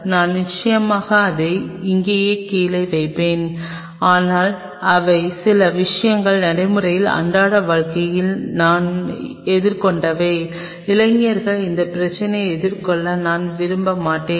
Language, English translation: Tamil, I will definitely put it down there, but these are certain things what in practical day to day life I have faced and I will not wish you young people face that problem